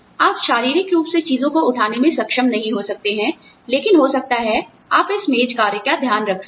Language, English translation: Hindi, You may not be able to physically lift things, but maybe, you can take care of this desk work